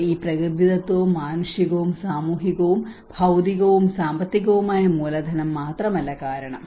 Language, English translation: Malayalam, So it is not just only because of this natural, human, social and physical and financial capital